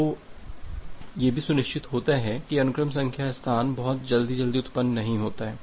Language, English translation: Hindi, So, this also ensures that the sequence number space that do not wrap around too quickly